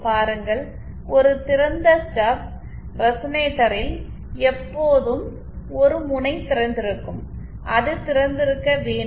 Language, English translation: Tamil, See, an open stub resonator will always have one end either open, it has to have open